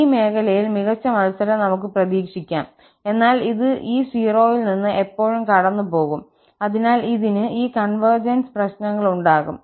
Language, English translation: Malayalam, We can expect the better match on this region, but it will pass always from this 0, so it will have this convergence issues